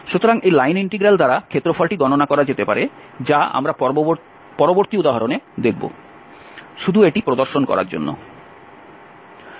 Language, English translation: Bengali, So, the area can be computed by this line integral which we will see in the next example just to demonstrate this